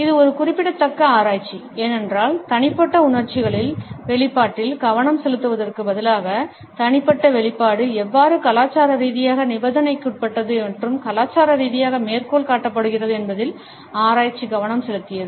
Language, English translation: Tamil, This is a significant research, because instead of focusing on the expression of individual emotions, the research has focused on how the individual expression itself is culturally conditioned and culturally quoted